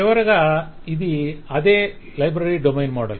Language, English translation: Telugu, Finally, it is the same library domain model